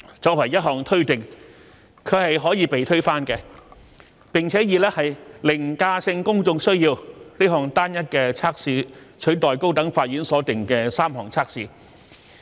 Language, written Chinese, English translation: Cantonese, 作為一項推定，它是可以被推翻的，並以"凌駕性公眾需要"這項單一測試取代高等法院所訂的3項測試。, As a presumption it is capable of being rebutted . The three tests laid down by the High Court were substituted with a single test of overriding public need